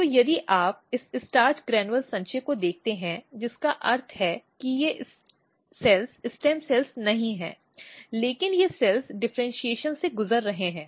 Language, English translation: Hindi, So, if you see this starch granule accumulation which means that these cells are not stem cells, but these cells are undergoing the differentiation